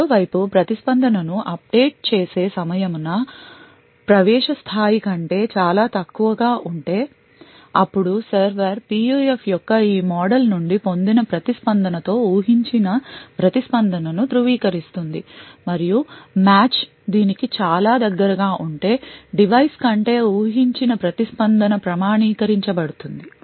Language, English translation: Telugu, On the other hand, if the time to update the response is very short much lesser than the threshold then the server would validate the response with the expected response obtained from this model of the PUF, and if the match is quite closed to this to the expected response than the device would get authenticated